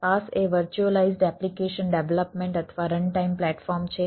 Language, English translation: Gujarati, paas is the virtualized application development or run time platform